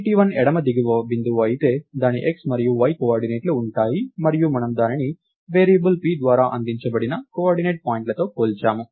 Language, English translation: Telugu, point, it will have its x and y coordinates and we are comparing that with the coordinates point passed on by variable p